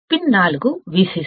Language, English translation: Telugu, Pin 4 is minus VCC